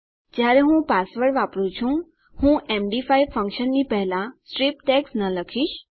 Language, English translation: Gujarati, When I am using my password, I will not say strip tags before the md5 function